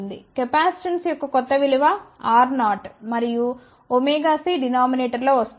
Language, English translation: Telugu, The new value of the capacitance will be R 0 and omega c will be coming in the denominator